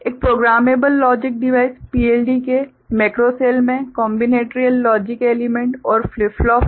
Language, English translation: Hindi, Macro cell of a programmable logic device PLD consists of combinatorial logic elements and flip flop